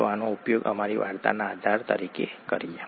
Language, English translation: Gujarati, Let us use this as the basis for our story